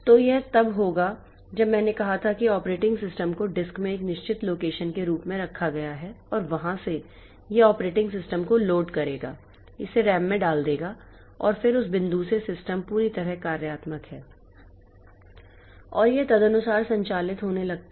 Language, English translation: Hindi, So, then it will be as I said that the operating system is kept in a as a fixed location in the disk and from there it will be it will be loading the operating system put it into RAM and then from that point onwards system is fully functional and it starts operating accordingly